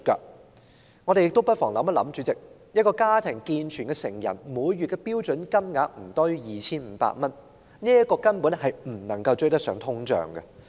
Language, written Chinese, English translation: Cantonese, 主席，我們不妨想想，一個家庭中的健全成人的每月標準金額不多於 2,500 元，根本無法追上通脹。, President let us think about this . A standard monthly rate of less than 2,500 for an able - bodied adult in a family simply cannot catch up with inflation